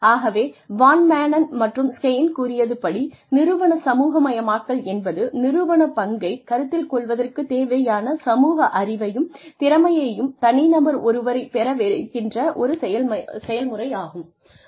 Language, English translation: Tamil, So, according to Van Maanen and Schein, the organizational socialization is a process by which, an individual acquires the social knowledge and skills, necessary to assume an organizational role